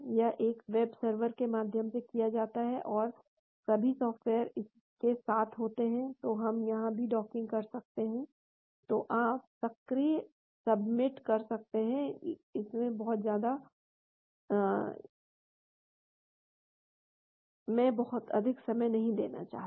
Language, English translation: Hindi, It is done through a web server and all the software belong with this yeah, so we can do a docking here also, so you can submit the docking, I do not want to spend too much time